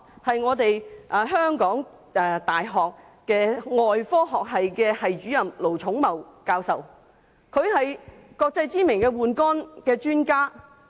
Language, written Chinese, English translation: Cantonese, 就是香港大學外科學系系主任盧寵茂教授，他是國際知名的換肝專家。, He is Prof LO Chung - Mau Head of the Department of Surgery at HKU and also an internationally renowned liver transplant specialist